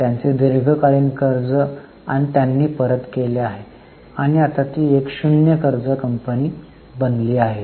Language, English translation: Marathi, Their long term borrowings they have repaid and have become a zero dead company now